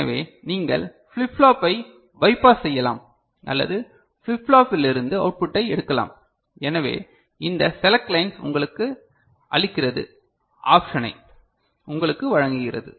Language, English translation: Tamil, So, you can bypass the flip flop or you can take the output from the flip flop, so that is what this select line gives you, gives you with the option is it alright ok